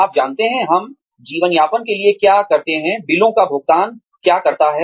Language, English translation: Hindi, You know, what we do for a living is, what pays the bills